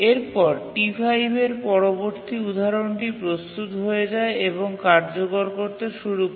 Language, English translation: Bengali, And again the next instance of T5 becomes ready, starts executing, and so on